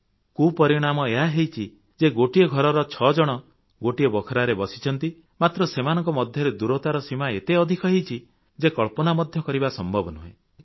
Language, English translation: Odia, But the end result of this is that six people in the same house are sitting in the same room but they are separated by unimaginable distances